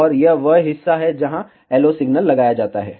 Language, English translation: Hindi, And this is the part, where the LO signal is applied